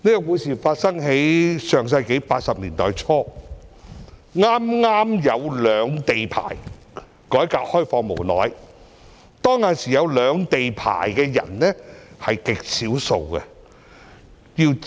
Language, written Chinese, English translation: Cantonese, 故事發生在上世紀80年代初，內地改革開放不久，剛推出兩地牌照。, It took place in early 1980s soon after the opening up of the Mainland when the regular quota system for cross - boundary private cars was first introduced